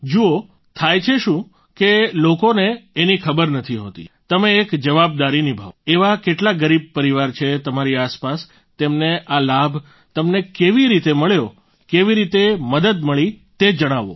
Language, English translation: Gujarati, See what happens people do not know about it, you should take on a duty, find out how many poor families are around you, and how you benefited from it, how did you get help